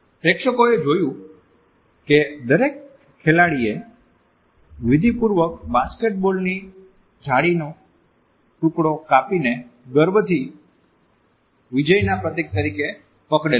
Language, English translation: Gujarati, The audience witnessed that each player had ritualistically cut a piece of the basketball net and proudly clutched this symbol of victory